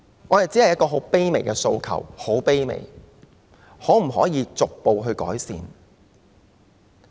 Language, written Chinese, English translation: Cantonese, 我只有一個很卑微的訴求，就是可否逐步改善？, I only have a most humble request that is can improvements be made incrementally?